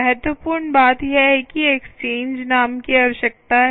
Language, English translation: Hindi, right, here again, what is important is the exchange name is required